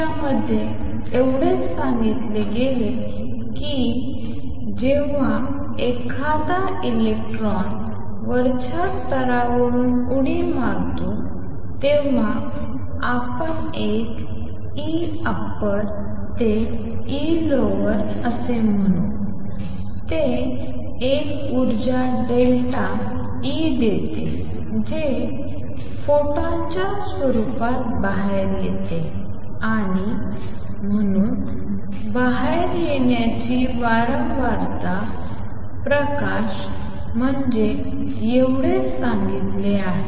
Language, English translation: Marathi, All that has been said in this is when an electron makes a jump from an upper level let us say an E upper to E lower it gives out an energy delta E which comes out in the form of a photon and therefore, the frequency of the out coming light is delta E over h that is all that has been said